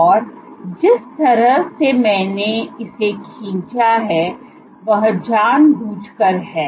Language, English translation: Hindi, So, and what you find the way I have drawn it is intentionally